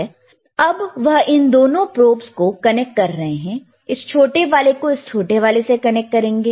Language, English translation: Hindi, And then he is connecting these 2 probes, and the shorter version shorter one he has connected to this shorter one, right